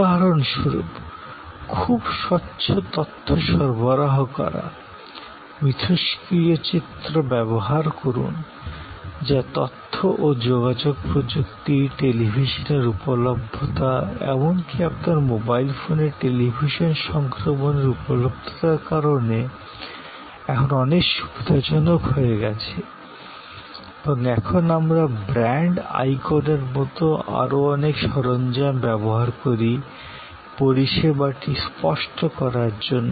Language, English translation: Bengali, For example, providing very vivid information, use interactive imagery, which is now become even easier, because of information and communication technology, availability of television, availability of television transmission even on your mobile phone and we use many other tools like say a brand icons to make the service tangible